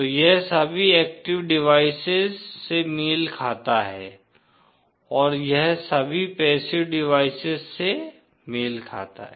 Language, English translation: Hindi, So this corresponds to all active devices and this corresponds to all passive devices